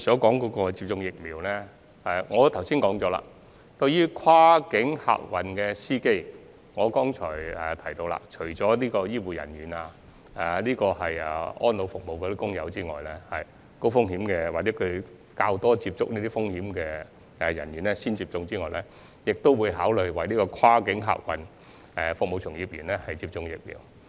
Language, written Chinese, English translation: Cantonese, 關於疫苗接種安排，正如我剛才指出，除了為醫護人員、安老院舍員工等高風險或較多接觸高風險者的人員優先接種外，政府亦會考慮為跨境客運服務從業員接種疫苗。, With regard to the arrangements for vaccination as I pointed out just now apart from according priority to healthcare workers and staff of residential care homes for the elderly RCHEs who are at high risk or have greater exposure to high - risk persons the Government will also consider vaccinating cross - boundary passenger service practitioners